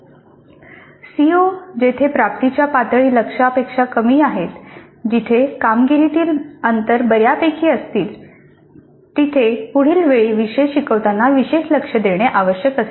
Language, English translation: Marathi, The COs where the attainment levels are substantially lower than the target, that means where the performance gaps are substantial would require special attention the next time the course is delivered